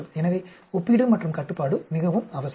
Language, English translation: Tamil, So, comparison and control are very, very essential